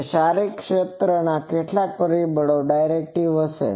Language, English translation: Gujarati, So, some factor of that physical area will be the directivity